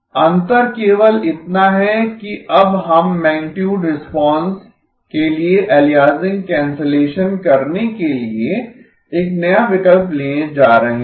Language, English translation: Hindi, The only difference is that we are now going to do a new choice for the aliasing cancellation for the magnitude response